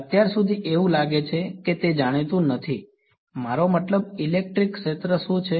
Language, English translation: Gujarati, So, far its seems like it is not known I mean a what is electric field